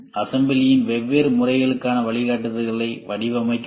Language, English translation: Tamil, Then design guidelines for different modes of assembly